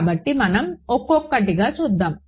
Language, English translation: Telugu, So let us see let us go one at a time